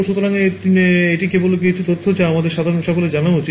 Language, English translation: Bengali, So, this is just some facts which we should all know